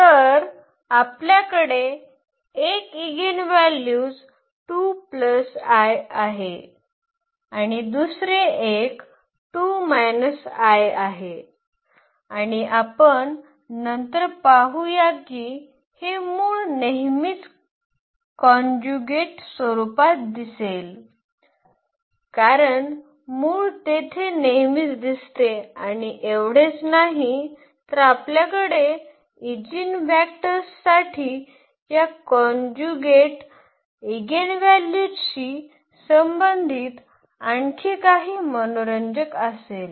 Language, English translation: Marathi, So, we have 1 eigen value 2 plus i another one is 2 minus i and we will see later on that these eigenvalues will always appear in conjugate form as the root always appears there and not only that we will have something more interesting for the eigenvectors corresponding to these conjugate eigenvalues